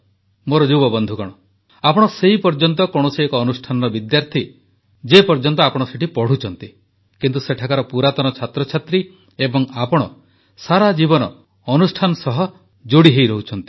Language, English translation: Odia, My young friends, you are a student of an institution only till you study there, but you remain an alumni of that institution lifelong